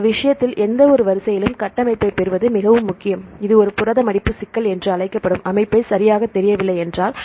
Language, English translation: Tamil, So, in this case it is very important to get the structure for any sequence if the structure is not known right that is called a protein folding problem